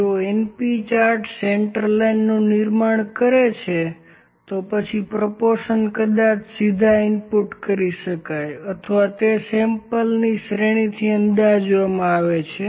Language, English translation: Gujarati, If np chart produce the central line proportion maybe input directly, or it may be estimated from the series of samples